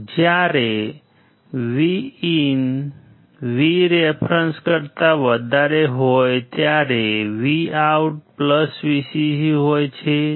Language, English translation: Gujarati, When VIN is less than Vref VOUT goes to VCC